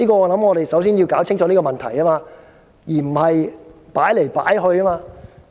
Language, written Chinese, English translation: Cantonese, 我們首先要釐清這個問題，而不是左搖右擺。, We have to clarify this question rather than vacillating between yes and no